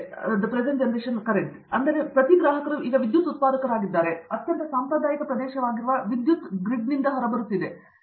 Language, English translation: Kannada, So, each consumer is now producer of electricity also, so going from the power grid which is a traditional, very traditional area